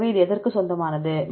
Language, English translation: Tamil, So, this belongs to